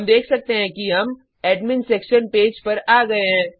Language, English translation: Hindi, We can see that we come to the Admin Section Page